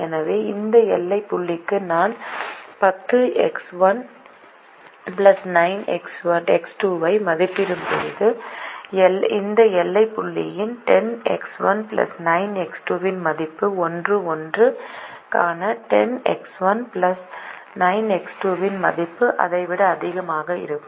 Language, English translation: Tamil, when i evaluate ten x one plus nine x two for this boundary point, the value of ten x one plus nine x two for this boundary point will be higher than the value of ten x one plus nine x two for one comma one